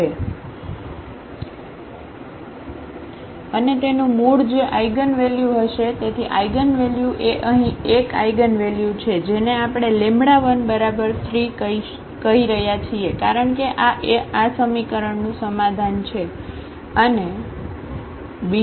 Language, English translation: Gujarati, And its root that will be the eigenvalue; so, eigen values are the 1 eigenvalue here which we are calling lambda 1 that is 3 because, this is the solution of this equation